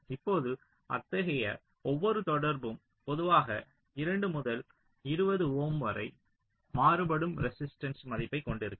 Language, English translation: Tamil, now each such contact typically will be having a resistance value which can vary from two to twenty ohm